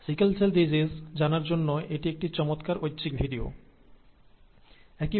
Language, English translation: Bengali, This is an optional video to know about sickle cell disease, nice video, but it is an optional video